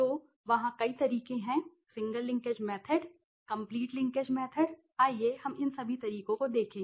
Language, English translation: Hindi, So, there are several methods the single linkage method the complete linkage method let us see all these methods